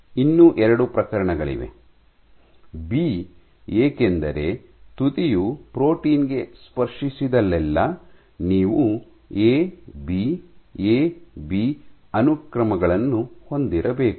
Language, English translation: Kannada, So, you still have 2 cases; B because wherever your tip touches the protein you are bound to have A B A B sequences in between ok